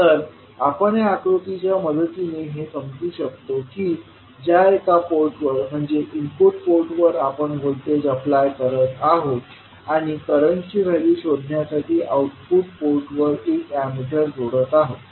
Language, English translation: Marathi, So, we can understand this with the help of this figure in which at one port that is input port we are applying the voltage and at the output port we are adding the Ammeter to find out the value of current